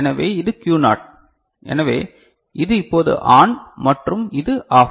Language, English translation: Tamil, So, this is Q naught so, this is ON now and this is OFF right